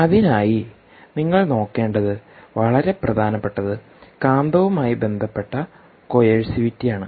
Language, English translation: Malayalam, what is very important is the coercivity associated with this magnet